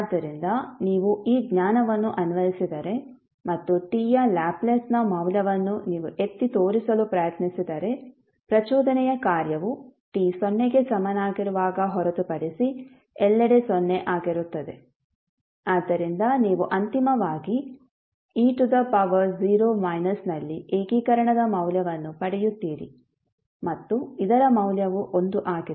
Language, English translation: Kannada, So, if you apply this knowledge and you try to point out the value of the Laplace of delta t because the impulse function is 0 everywhere except at t is equal to 0, so you will finally get the value of integration at e to the power 0 minus and the value of this is 1